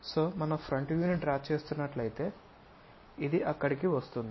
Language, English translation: Telugu, So, if we are drawing the front view turns out to be this one comes there